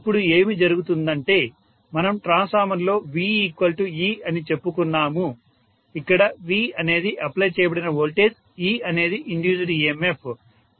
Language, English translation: Telugu, So what is happening now is in a transformer we said V is equal to E, where V is the applied voltage, E is the induced emf